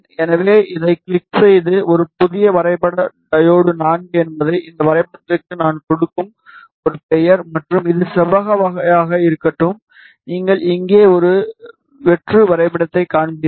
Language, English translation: Tamil, So, click on this add a new graph diode IV is a name I will give to this graph, and let it be of rectangular type create you will see a blank graph here